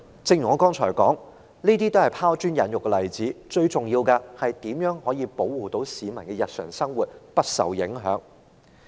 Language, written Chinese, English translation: Cantonese, 正如我剛才所說，這些只是拋磚引玉的例子，最重要的就是要保護市民的日常生活不受影響。, As I said I hope my examples will elicit better ideas from Members but the most important priority is to ensure that the daily lives of the public will not be disrupted